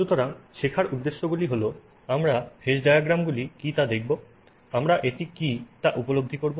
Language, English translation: Bengali, So, our learning objectives are we will look at what are phase diagrams